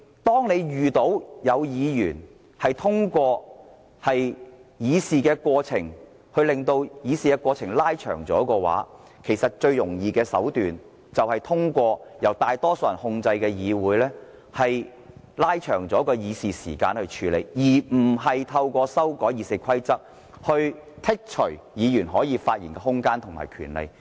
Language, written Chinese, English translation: Cantonese, 當有議員在議會透過一些程序延長議事過程時，其實最容易處理這情況的手段，就是通過由建制派控制的議會延長議事時間，而不是透過修訂《議事規則》來削減議員發言的空間和權利。, When Members prolong the process of deliberation by means of invoking certain procedures the easiest solution is that the Legislative Council controlled by the pro - establishment camp prolongs the meeting time instead of limiting the chances and rights of Members to speak